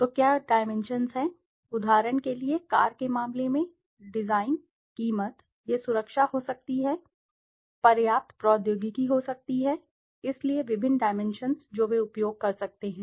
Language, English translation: Hindi, So what are the dimensions, could be for example, in the car case, design, price, it could be safety, could be enough technology, so various dimensions that they could be using